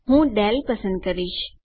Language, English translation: Gujarati, I am going to choose Dale